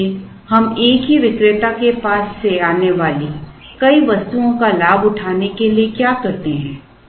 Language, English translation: Hindi, Therefore, what we do to take advantage of multiple items that go to the same vendor